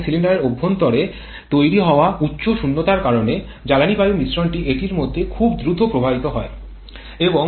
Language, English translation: Bengali, And because of the high vacuum that is created inside the cylinder fuel air mixture keeps on flowing very rapidly into this